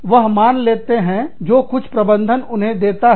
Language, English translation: Hindi, They accept, whatever the management gives them